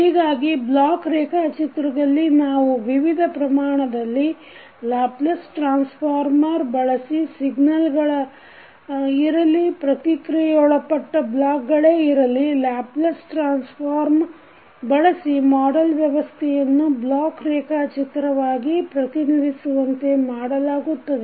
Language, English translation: Kannada, So in the block diagram we use the Laplace transform of various quantities whether these are signals or the processing blocks we used the Laplace transform to represent the systems model in block diagram